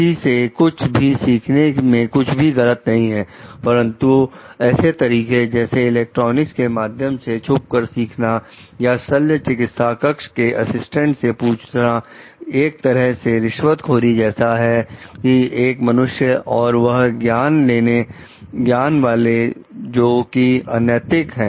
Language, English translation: Hindi, So, it is nothing wrong in learning from someone, but the means taken for learning like electronic like electronic eavesdropping, or asking an operating room assistant maybe bribing that out person also to get that knowledge is something which is not ethical